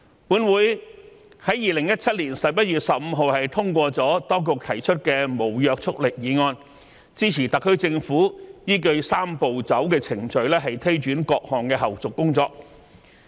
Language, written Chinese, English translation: Cantonese, 本會於2017年11月15日通過了當局提出的無約束力議案，支持特區政府依據"三步走"程序推展各項後續工作。, The Legislative Council endorsed on 15 November 2017 the non - binding motion moved by the Administration and supported the SAR Government to take forward the follow - up tasks under the Three - step Process